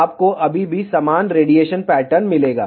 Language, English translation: Hindi, You will still get similar radiation pattern